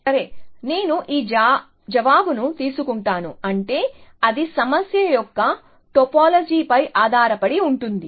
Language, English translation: Telugu, Well, I take your answer to mean it depends on the topology of the problem essentially